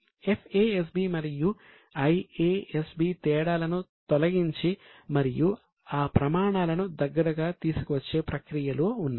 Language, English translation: Telugu, FASB and IASB are in the process of eliminating the differences and bring those standards nearer